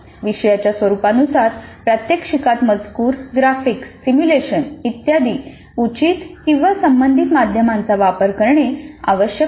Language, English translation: Marathi, Based on the nature of the content, demonstration must use appropriate media as we already mentioned, text, graphics, simulation, whatever would be the most relevant